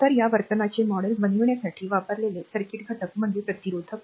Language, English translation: Marathi, So, circuit element used to model this behavior is the resistor